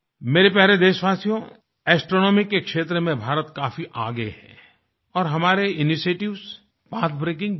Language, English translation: Hindi, My dear countrymen, India is quite advanced in the field of astronomy, and we have taken pathbreaking initiatives in this field